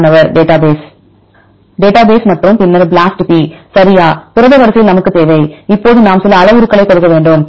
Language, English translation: Tamil, Database and then BLASTp right we need over the protein sequence; now we have to give some parameters